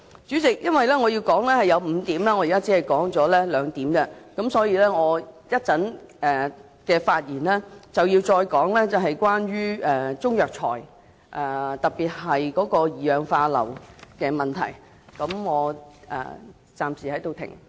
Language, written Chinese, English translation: Cantonese, 主席，由於我想提出5點，但現時只提出兩點，所以我稍後的發言會再提及中藥材中特別是二氧化硫含量的問題。, President as I wished to make five points but managed to put forward only two of them I will further talk about Chinese herbal medicines especially the sulphur dioxide content when I speak again later on